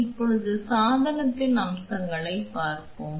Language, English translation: Tamil, Now let us see the features of the device